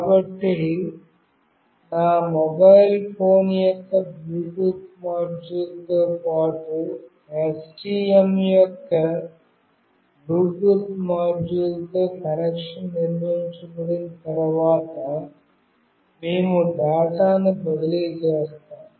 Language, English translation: Telugu, So, once the connection is built with the Bluetooth module of STM along with the Bluetooth module of my mobile phone, we will transfer the data